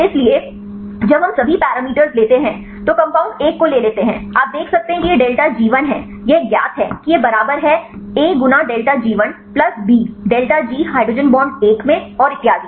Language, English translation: Hindi, So, when we get the all the parameters take the compound one right you can see deltaG1 this is known this is equal to a into deltaG torsion 1 plus b into delta G hydrogen bond 1 and so on right